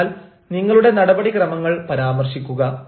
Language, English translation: Malayalam, so please mention the procedure